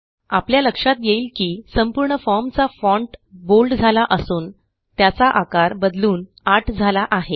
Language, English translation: Marathi, Notice that the font has changed to Bold and size 8 across the form now